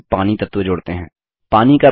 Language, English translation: Hindi, Let us now add the water body to the drawing